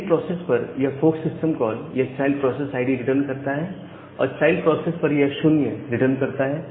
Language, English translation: Hindi, So, this fork system call at the parent process, it returns the idea of the child process and at the child process it returns 0